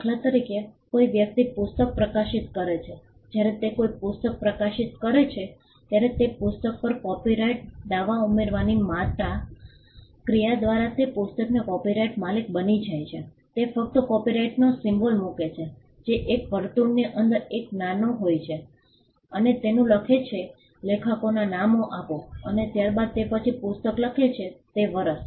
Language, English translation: Gujarati, For instance a person publishes the book when he publishes a book he becomes the copyright owner of the book by a mere act of adding the copyright claim on his book he just puts the copyright symbol which is a small c within a circle © and writes his name the authors name and followed its by the year in which he writes the book